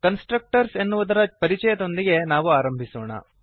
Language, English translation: Kannada, Let us start with an introduction to Constructors